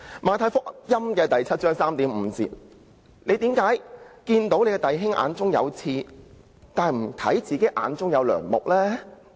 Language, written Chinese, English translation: Cantonese, 《馬太福音》第七章第三至五節說道："為甚麼看見你弟兄眼中有刺，卻不想自己眼中有樑木呢？, Matthew 7col3 - 5 says Why do you see the speck that is in your brothers eye but do not notice the log that is in your own eye?